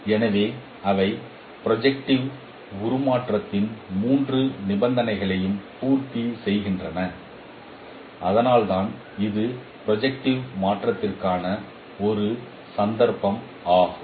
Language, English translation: Tamil, So they satisfy all the three conditions of the projective transformation that is why it is a case of projective transformation